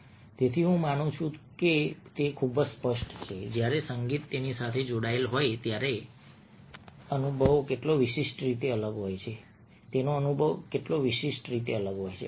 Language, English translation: Gujarati, so i believe that a that makes it very clear how distinctively different the experience is when music is attached to that